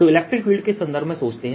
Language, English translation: Hindi, so think in terms of electric field conceptually